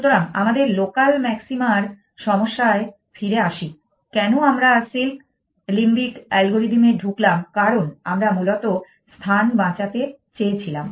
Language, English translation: Bengali, So, back to our problem of local maximum why did we get into the silk limbic algorithm because we wanted to save on space essentially